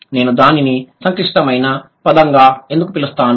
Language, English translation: Telugu, Why I would call it a complex word